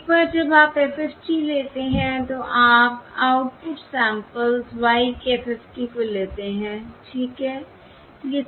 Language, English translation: Hindi, Now, once you take the FFT, you take the FFT of the output, output samples y, okay